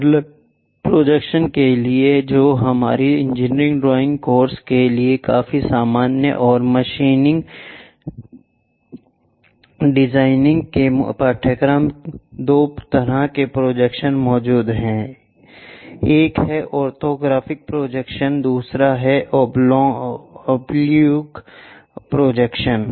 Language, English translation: Hindi, For parallel projections which are quite common for our engineering drawing course and machine designing kind of courses there are two types of projections exists, one is orthogonal projection, other one is oblique projection